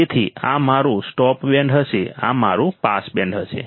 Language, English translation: Gujarati, So, this will be my stop band this will be my pass band